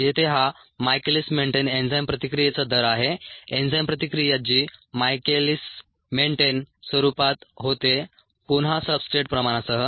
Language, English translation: Marathi, here it is the rate of the michaelis menten ah enzyme ah re reaction, or the enzyme reaction which takes place in the michaelis menten form, with, again, the substrate concentration, the substrate concentration variation